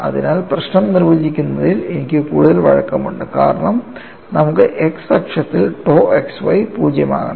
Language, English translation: Malayalam, And we have really looking at what happens on y equal to 0 on the axis of symmetry tau xy should be equal to 0